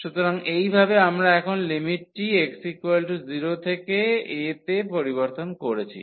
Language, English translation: Bengali, So, in this way we have changed the limit now from x 0 to a and y goes from this 0 to x